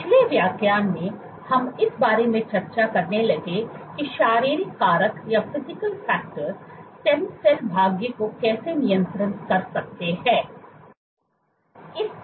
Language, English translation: Hindi, In the last lecture we are started discussing about how Physical factors can regulate Stem cell fate